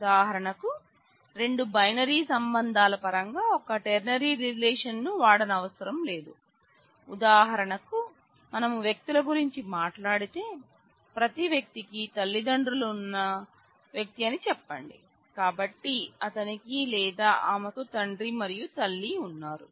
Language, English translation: Telugu, For example, a ternary relationship can be decomposed in terms of two binary relationship; for example, let us say if we talk about persons then person every person has parents; so, he or she has a father and a mother